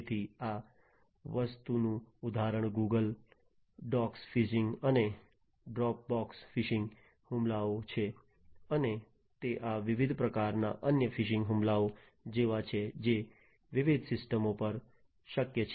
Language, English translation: Gujarati, So, example of this thing is Google docs phishing and Dropbox phishing attacks and they are like these different types of other phishing attacks that are possible on different systems